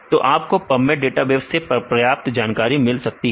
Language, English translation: Hindi, So, you can get sufficient information from the pubmed database